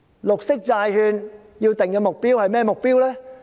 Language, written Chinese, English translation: Cantonese, 綠色債券應該有甚麼目標？, What goals should be set for green bonds?